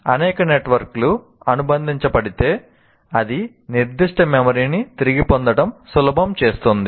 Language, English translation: Telugu, The more number of networks it gets associated, it makes the retrieval of that particular memory more easy